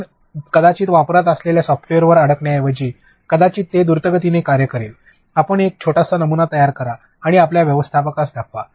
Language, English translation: Marathi, Instead of sticking to one software which we have been using maybe this will work fast, you create a small prototype and show it to your manager